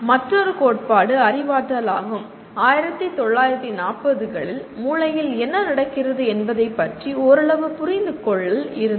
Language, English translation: Tamil, Then another theory is “cognitivism”, where around 1940s there is a some amount of understanding what is happening in the brain